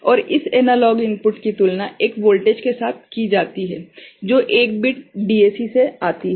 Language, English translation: Hindi, And this analog input is compared with a voltage which is coming from 1 bit DAC ok